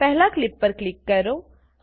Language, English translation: Gujarati, Click on the first clip